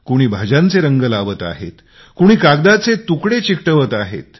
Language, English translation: Marathi, Some are using vegetable colours, while some are pasting bits and pieces `of paper